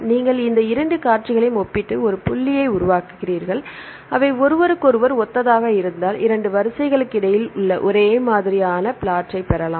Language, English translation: Tamil, So, you compare these two sequences and make a dot if it is they are similar to each other, and you can get the similarity plot between the 2 sequences